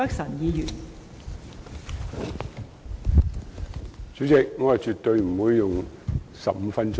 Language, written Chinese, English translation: Cantonese, 代理主席，我絕對不會用上15分鐘發言。, Deputy Chairman I absolutely will not use up 15 minutes to speak